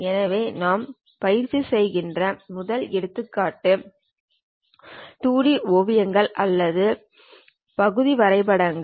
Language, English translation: Tamil, So, first example what we are practicing is 2D sketches or part drawing we would like to go with